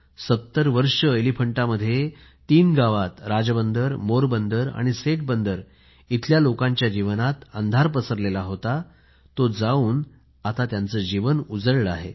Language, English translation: Marathi, For 70 years, the lives of the denizens of three villages of the Elephanta Island, Rajbunder, Morbandar and Centabandar, were engulfed by darkness, which has got dispelled now and there is brightness in their lives